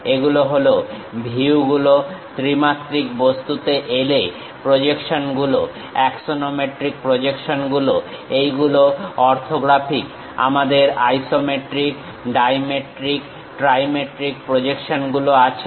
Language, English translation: Bengali, Coming to three dimensional object; the projections, in axonometric projections these are orthographic; we have isometric projections, dimetric projections and trimetric projections